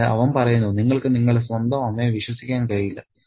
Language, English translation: Malayalam, So, he says even you can't trust your own mother